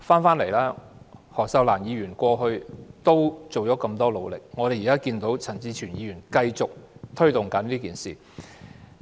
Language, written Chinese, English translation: Cantonese, 前議員何秀蘭過去很努力推動同志平權，而現在陳志全議員繼續推動。, Former Member Cyd HO worked very hard in the past to promote equal rights for people of different sexual orientations and now Mr CHAN Chi - chuen continues to push for them